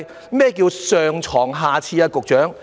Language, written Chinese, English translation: Cantonese, 局長，何謂"上床下廁"？, Secretary what does bed above toilet mean?